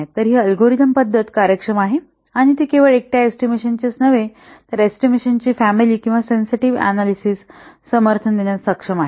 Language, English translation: Marathi, So, this algorithm method, it is efficient and it is able to support not only single estimations but a family of estimations or a sensitive analysis